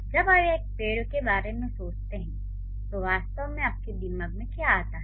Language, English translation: Hindi, So, when you think about a tree, what exactly comes to your mind